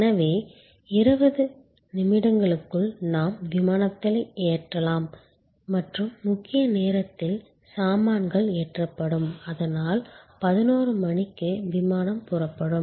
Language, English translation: Tamil, So, that within 20 minutes we can load the aircraft and in the main time luggage’s have been loaded, so at 11'o clock the flight can take off